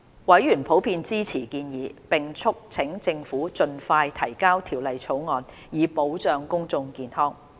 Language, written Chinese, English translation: Cantonese, 委員普遍支持建議，並促請政府盡快提交《條例草案》，以保障公眾健康。, Panel Members generally supported the proposal and urged the Government to introduce the Bill as soon as possible to safeguard public health